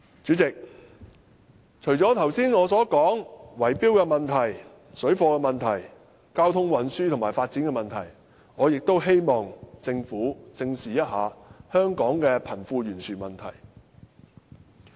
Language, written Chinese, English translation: Cantonese, 主席，除了我剛才談到的圍標問題、水貨問題、交通運輸和發展的問題，我亦希望政府正視香港的貧富懸殊問題。, President after discussing the problems of tender rigging parallel trading transport and development I also hope that the Government can face the disparity in wealth squarely